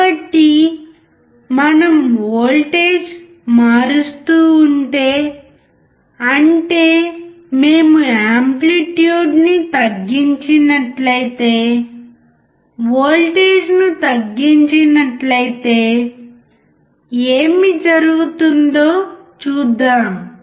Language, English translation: Telugu, So, let us quickly see, if we if we change the voltage; that means, that if we lower the amplitude, lower the voltage what will happen